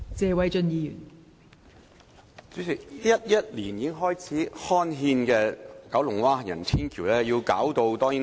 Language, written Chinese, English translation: Cantonese, 代理主席 ，2011 年已經開始刊憲的九龍灣行人天橋至今還未完成。, Deputy President the elevated walkway system in Kowloon Bay gazetted in 2011 has not yet been completed